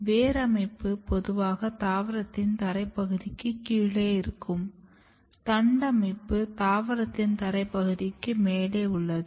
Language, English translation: Tamil, Root system is usually below the ground part of the plant; shoot system is above the ground part of the plant